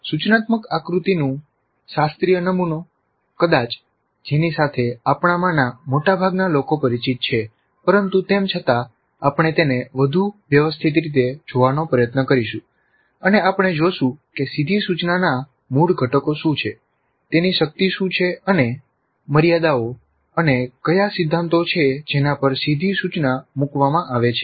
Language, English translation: Gujarati, A classical model of instruction design, probably one with which most of us are familiar, but still we will try to look at it in a more systematic fashion and we will see what are the basic components of direct instruction, what are its strengths and limitations and what are the principles on which the direct instruction is placed